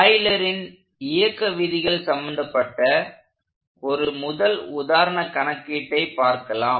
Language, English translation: Tamil, So, we will start solving our first example problem related to Euler’s laws of motion